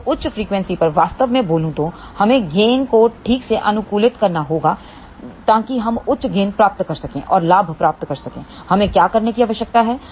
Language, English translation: Hindi, So, at higher frequency really speaking, we have to optimize the gain properly so that we can get a higher gain and to obtain the higher gain, what we need to do